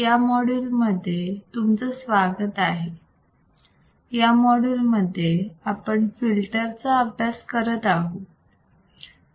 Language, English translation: Marathi, Welcome to this module, and in this module for our lecture, we are looking at filters